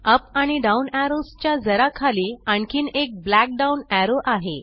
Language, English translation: Marathi, Below the up and down arrows is another black down arrow